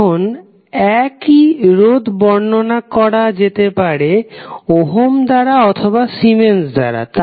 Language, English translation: Bengali, Now, same resistance can be expressed in terms of Ohm or resistance and Ohm or Siemens